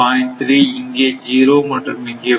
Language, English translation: Tamil, 3 here it is 0 and 0